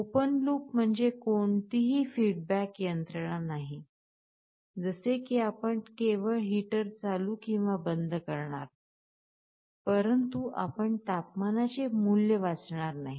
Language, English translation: Marathi, Open loop means there is no feedback mechanism; like you are only turning on or turning off the heater, but you are not reading the value of the temperature